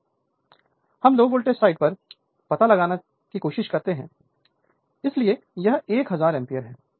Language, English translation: Hindi, But , we are trying to find out at the low voltage side so, it is 1000 ampere right